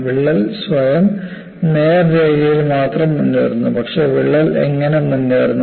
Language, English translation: Malayalam, The crack by itself advances only along the straight line, but how does the crack advances